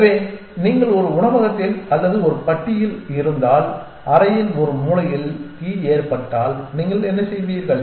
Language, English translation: Tamil, So, what do you do if you are in a restaurant or a bar and there is a fire in one corner of the room